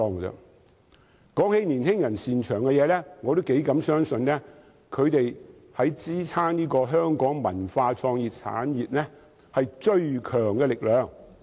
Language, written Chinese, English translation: Cantonese, 談到年青人擅長的東西，我相信他們是支撐香港文化創意產業最強大的力量。, Speaking of young peoples strengths I believe they are the strongest force in supporting the cultural and creative industries in Hong Kong